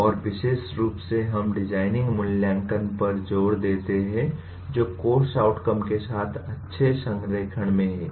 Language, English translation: Hindi, And also specifically we emphasize designing assessment that is in good alignment with the course outcomes